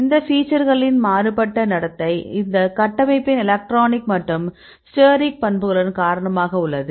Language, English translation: Tamil, So, differential behavior of these aspects, it also attributed with the electronic and steric properties of the structure